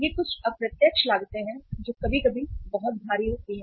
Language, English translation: Hindi, These are the some indirect costs which are sometime very heavy